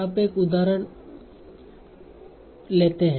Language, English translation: Hindi, So let us see some other examples